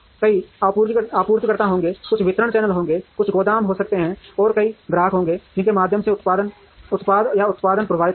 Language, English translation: Hindi, There will be several suppliers, there will be few distribution channels, there could be few warehouses, and there will be many customers through which the product or products will flow